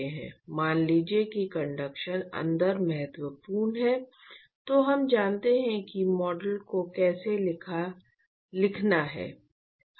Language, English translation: Hindi, So, supposing we say that the conduction is important inside then we know how to write the model